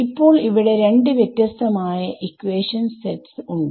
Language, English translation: Malayalam, So now, here is it seems like I have two different sets of equations